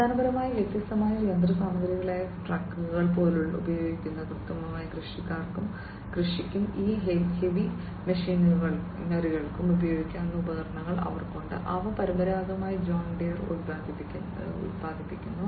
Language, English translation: Malayalam, They have equipments which are basically different machinery, which can be used like tractors etcetera, which can be used for precision agriculture and these heavy machinery, that are produced by them traditionally, John Deere